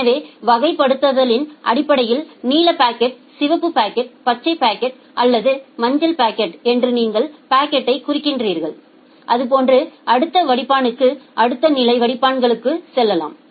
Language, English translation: Tamil, So, based on that you mark the packet so, just like a blue packet, a red packet, a green packet, or a yellow packet, like that and then go to the next filter next level of filters